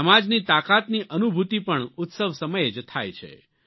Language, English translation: Gujarati, The true realisation of the strength of a society also takes place during festivals